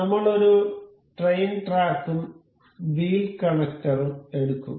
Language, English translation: Malayalam, Here, we have a rail track, a wheel and a wheel holder